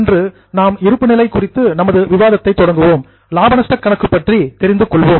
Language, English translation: Tamil, Today we will continue with our discussion on balance sheet and then we will proceed to understand the profit and loss account